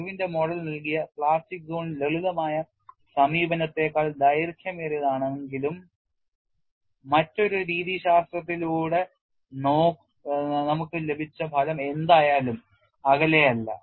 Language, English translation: Malayalam, Though the plastic zone given by Irwin’s model is longer than the simplistic approach, whatever the result that we have got by another methodology is no way of